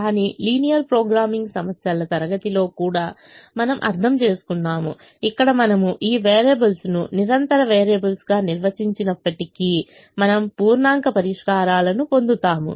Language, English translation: Telugu, we are not going to go deeper into that idea, but we will also understand that there are a class of linear programming problems where, even if we define these variables as continuous variables, we will end up getting integer solutions